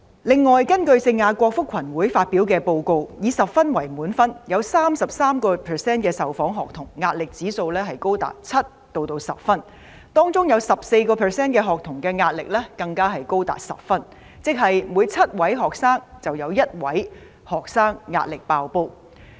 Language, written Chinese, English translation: Cantonese, 另外，根據聖雅各福群會發表的報告，以10分為滿分，有 33% 的受訪學童的壓力指數高達7至10分，當中有 14% 的學童壓力更高達10分，即是每7名學生中，便有1名學生壓力"爆煲"。, In addition according to a report published by St James Settlement 33 % of the student interviewees scored 7 to 10 in the pressure index with 10 being the highest score and the score of 14 % of these students was as high as 10 . In other words one out of ten students are overstretched